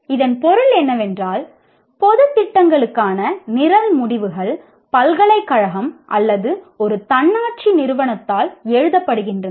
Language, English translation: Tamil, Okay, what it means is program outcomes for general programs are written by the, either the university or an autonomous institution